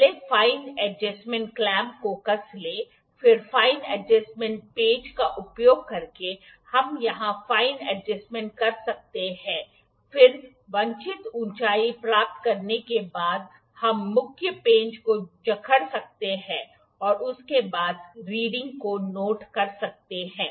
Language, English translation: Hindi, The first tighten the fine adjustment clamp this clamp, then using the fine adjustment screw we can move it we can make fine adjustment here then after getting the desired height we can clamp the main screw and conveniently note down the reading after that